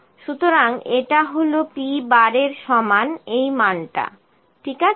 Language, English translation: Bengali, So, this is equal to p bar this value, ok